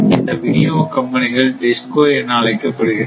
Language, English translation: Tamil, And this is distribution company in short we call DISCO right